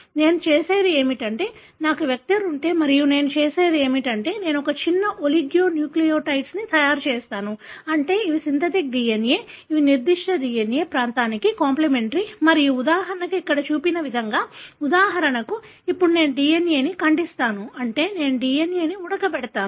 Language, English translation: Telugu, So, what I do is that if I have a vector and what I do is that I make a small oligonucleotide, meaning these are synthetic DNA which are complimentary to the particular DNA region and as shown here for example, then I, denature the DNA, meaning I boil the DNA, for example